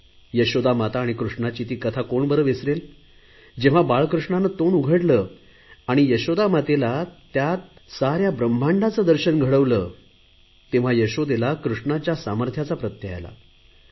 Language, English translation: Marathi, No one can forget the story of Krishna and Yashoda where he opened his mouth and the mother was able to see the entire universe, and then only his power could be realized